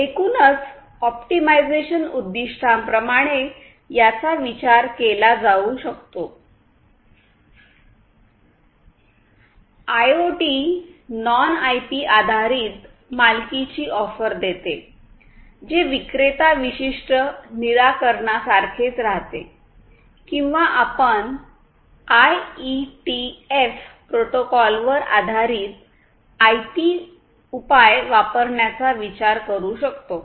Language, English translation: Marathi, Now, think about IoT; IoT we can think about offering non IP based proprietary remains like vendor specific solutions or we can think of using the IPbased solutions based on the IETF protocols that are already there